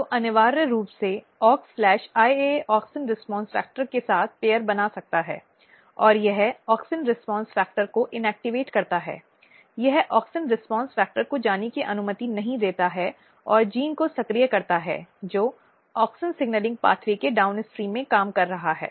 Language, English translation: Hindi, So, essentially Aux/IAA it can; so, basically it can pair with auxin response factor and it inactivate auxin response factor, it does not allow auxin response factor to go and activates the genes which is working downstream of auxin signalling pathway